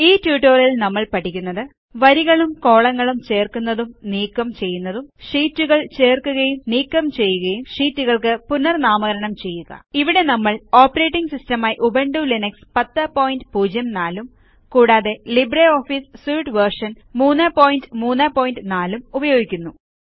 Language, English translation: Malayalam, In this tutorial we will learn about: Inserting and Deleting rows and columns Inserting and Deleting sheets Renaming Sheets Here we are using Ubuntu Linux version 10.04 as our operating system and LibreOffice Suite version 3.3.4